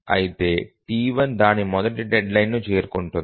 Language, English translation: Telugu, Therefore, T1 meets its first deadline